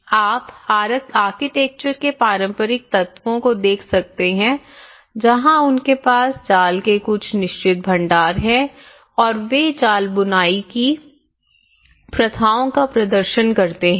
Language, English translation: Hindi, You can see the traditional elements of the architecture where they have some certain storages of net and they perform the net weaving practices